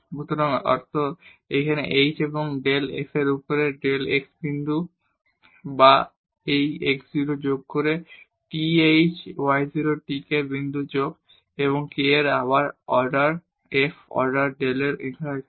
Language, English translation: Bengali, So, the meaning is here h and del f over del x at the point x y or this x 0 plus th y 0 t k point plus k and again del f over del y here